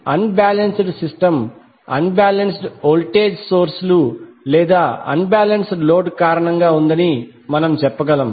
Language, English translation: Telugu, So therefore we can say that unbalanced system is due to unbalanced voltage sources or unbalanced load